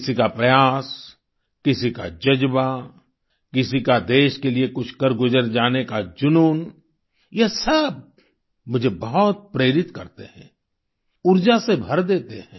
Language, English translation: Hindi, Someone's effort, somebody's zeal, someone's passion to achieve something for the country all this inspires me a lot, fills me with energy